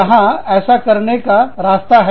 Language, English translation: Hindi, There is a way, to do that